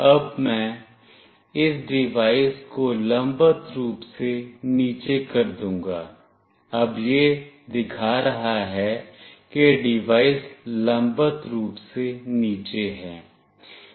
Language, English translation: Hindi, Now, I will make this device vertically down, now this is showing that the devices vertically down